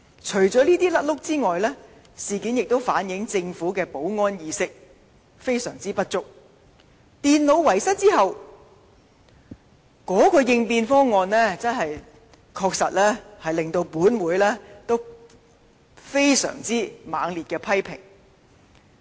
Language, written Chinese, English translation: Cantonese, 除了這些錯失外，事件亦反映政府的保安意識相當不足，在電腦遺失後的應變方案亦令本會予以相當猛烈的批評。, These mistakes aside the incident also reflects the Governments severe lack of security awareness . The contingency measures implemented after the loss of the computers have been under severe criticism by this Council